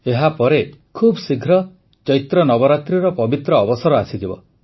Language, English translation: Odia, After this, soon the holy occasion of Chaitra Navratri will also come